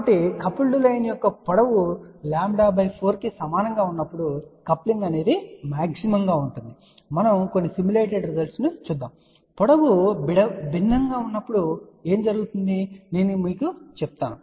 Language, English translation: Telugu, So, coupling is maximum when the length of the coupled line is equal to lambda by 4 , we will see some simulated results and then I will show you what happens when the length is different